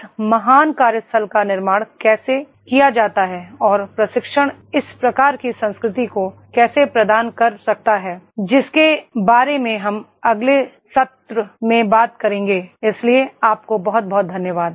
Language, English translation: Hindi, How this great workplace is to be created and how the training can impart this type of the culture that we will talk about into the next session, so thank you very much